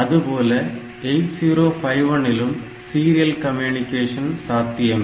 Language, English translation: Tamil, So, in case of 8085 we have seen the serial communication